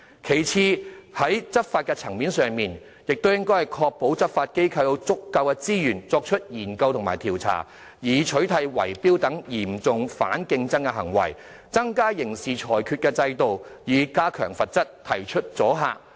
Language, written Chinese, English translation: Cantonese, 其次，在執法層面上，當局應該確保執法機構有足夠資源作出研究和調查，以取締圍標等嚴重反競爭行為，加強刑事制裁制度，以增加罰則，產生阻嚇作用。, Then for law enforcement the authorities should ensure that law enforcement agencies are provided with adequate resources for conducting studies and surveys with a view to wiping out serious anti - competitive conduct like bid - rigging . It should also reinforce the regime of criminal sanctions by increasing the penalty to achieve deterrence